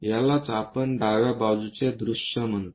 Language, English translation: Marathi, This is what we call left side view